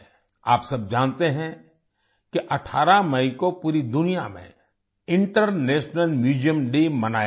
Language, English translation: Hindi, You must be aware that on the 18th of MayInternational Museum Day will be celebrated all over the world